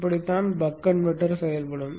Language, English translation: Tamil, So this is how the buck boost converter operates